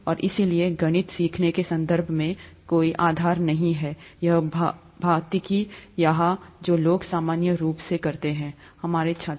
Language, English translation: Hindi, And so there is probably no basis in terms of learning, to place maths here, physics here, which people normally do, our students